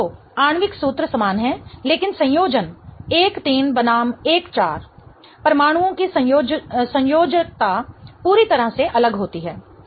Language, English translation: Hindi, So, the molecular formula is the same but the connectivity 1 3 versus 1 4, the connectivity of the atoms is different altogether